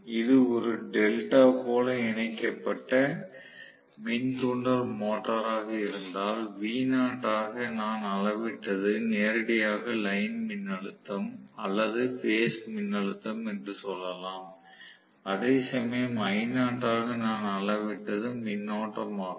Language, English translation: Tamil, If it had been a delta connected induction motor, I can say v naught whatever I read is directly line voltage as well as phase voltage whereas I naught whatever I am reading current